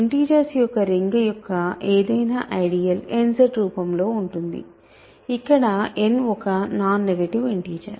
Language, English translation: Telugu, Any ideal of the ring of integers is of the form n Z for some non negative integer right, n is a non negative integer